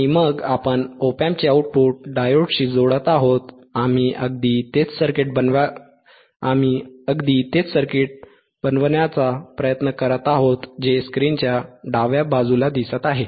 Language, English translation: Marathi, And then we are connecting the output of the op amp to the diode, we are exactly trying to make the same circuit which as which you can see on the left side of the screen alright